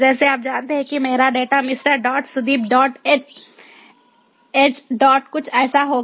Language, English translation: Hindi, my data would be something like mister dot, sudeep dot, age dot, something